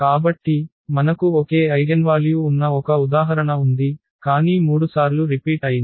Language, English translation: Telugu, So, we have an example where all these we have the same eigenvalues, but repeated three times